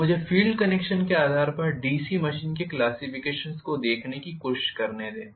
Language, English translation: Hindi, So, let me try to look at the classification of the DC machine based on field connection